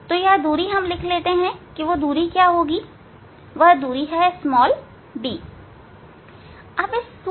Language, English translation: Hindi, So that distance we have to note down, so that is d